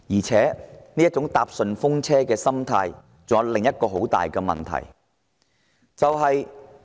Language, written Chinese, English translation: Cantonese, 這種"坐順風車"的心態還有另一個嚴重問題。, There is another serious problem with this free - ride mentality